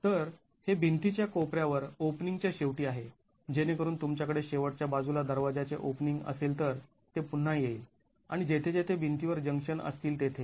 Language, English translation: Marathi, So, these are at the corners of walls, at the ends of opening, so where you have a door opening at the ends, this would again come and wherever there are junctions in walls